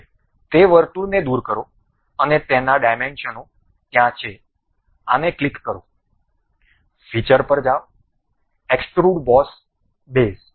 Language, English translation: Gujarati, Now, remove that circle oh its dimensions are there; click this, go to features, extrude boss base